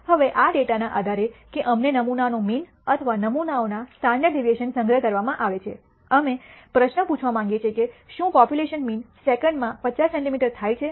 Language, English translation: Gujarati, Now, based on this data that we are collected the sample mean and the sample standard deviation we want to ask the question whether the population mean happens to be 50 centimeter per second